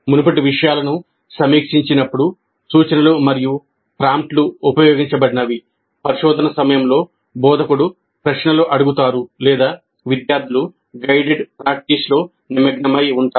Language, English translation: Telugu, Cues and prompts are used when the previous material is being reviewed, questions are being asked by the instructor that is during probing, or students are engaged in guided practice